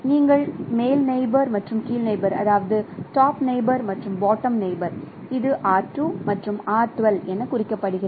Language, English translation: Tamil, So, you get the top neighbor and bottom neighbor R2 and R12 and you divide it by 2